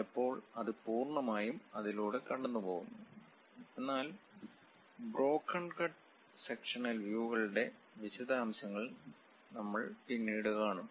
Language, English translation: Malayalam, And sometimes it completely goes through the part; but something named broken cut sectional views, more details we will see later